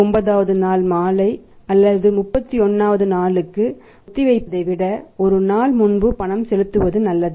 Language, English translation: Tamil, It is better to make the payment one day before that is on the 29th day evening or rather than postponing it to the 31st day